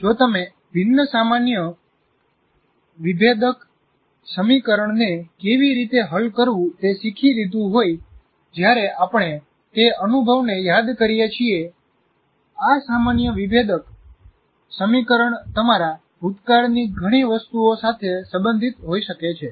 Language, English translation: Gujarati, It is not restricted to, for example, if you have learned how to solve a ordinary differential equation, while we are recalling their experience, this ordinary differential equation can be related to many things of your past